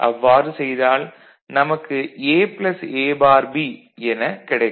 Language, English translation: Tamil, So, you get A plus B